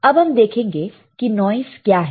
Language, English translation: Hindi, So, let us see what are the type of noises